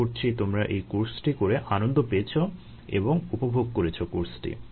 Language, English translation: Bengali, hopefully you had fun during the course and you enjoyed the course ah